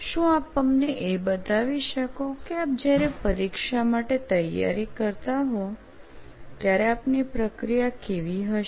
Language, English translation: Gujarati, Can you just take us through what process you follow when you are preparing for an exam